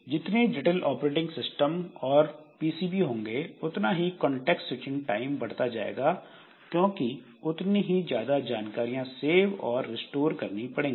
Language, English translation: Hindi, So, more complex operating system and PCB the longer will be the contact switching time because you need to save and restore more information